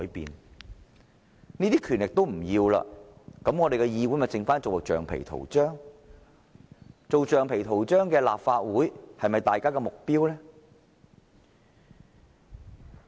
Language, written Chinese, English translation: Cantonese, 如果連這些權力也不要，那麼立法會便只能淪為橡皮圖章，一個只能做橡皮圖章的立法會是否大家的目標？, If we give up even these powers then the Legislative Council could only degenerate into a rubber stamp . If a Legislative Council can do nothing except to act as a rubber stamp could that be the objective of Members?